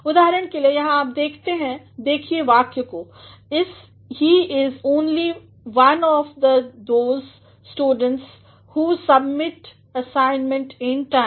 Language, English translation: Hindi, For example, here you see this you look at the sentence; he is only one of those students who submit assignments in time